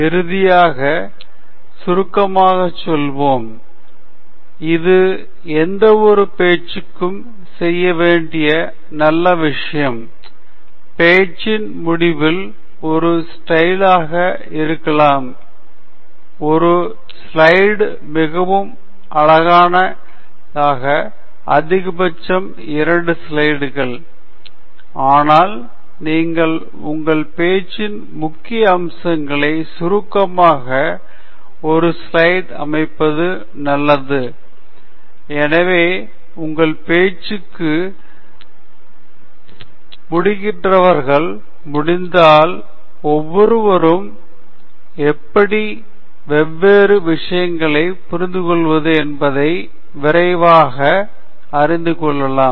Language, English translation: Tamil, And finally, we will do a summary, which is the good thing to do for any talk, because a towards the end of the talk, it’s nice to show in just may be a one slide, one slide is pretty much all you should put up, maximum two slides, but ideally one slide in which you sort of summarize the key aspects of your talk, so that people who finish listening to your talk are able to, you know, quickly get an understanding of how various things relate to each other